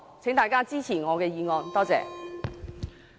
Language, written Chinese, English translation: Cantonese, 請大家支持我的議案，多謝。, I urge Members to support my motion . Thank you